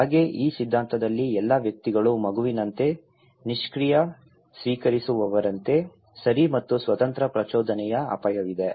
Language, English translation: Kannada, Like, in this theory all individuals are like a passive recipient like a baby, okay and there is of an independent stimulus that is the hazard